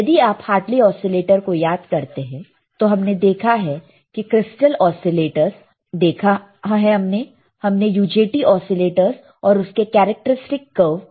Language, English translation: Hindi, If you recall quickly Hartley oscillator this we have seen right, crystal oscillators we have seen, then we have seen UJT oscillators, and its characteristic curve right